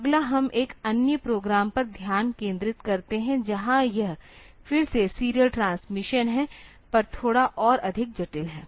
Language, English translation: Hindi, So, next we look into another program where that is again on serial transmission but slightly more complex